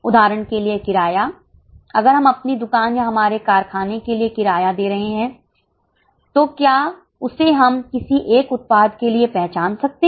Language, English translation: Hindi, If we are paying rent for our shop or for our factory, can we identify it for any one product